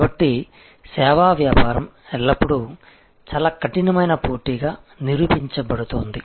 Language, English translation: Telugu, So, service business is always being proven to tough competition